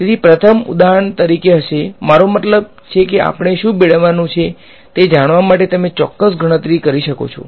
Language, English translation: Gujarati, So, the first example would be for example, I mean you can take the exact calculation just to know what we are supposed to get